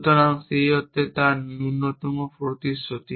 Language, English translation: Bengali, So, in that sense its least commitment